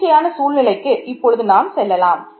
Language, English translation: Tamil, So, let us now go back to an arbitrary situation